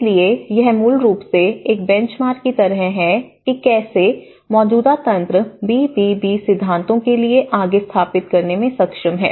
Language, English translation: Hindi, So, it is basically like having a benchmark how the existing mechanisms are able to set forth for the BBB principles